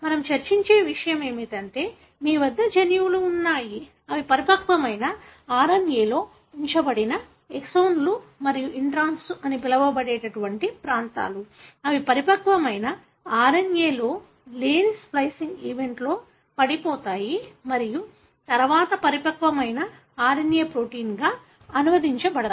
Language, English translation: Telugu, So, what we discussed was that you have genes, which have got exons which are retained here in the matured RNA and regions called introns, which are spliced out during the splicing event which are not present in the matured RNA and then the matured RNA is translated into protein